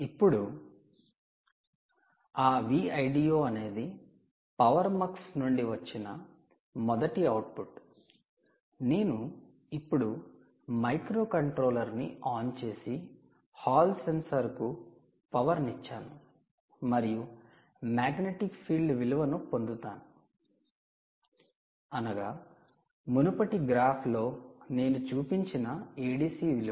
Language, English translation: Telugu, now that v l d o is the first one to be the output from this power mux, we now switch on the microcontroller and what we do is we energize the hall sensor to obtain the magnetic field value, the a d c value, which i showed you in the previous graph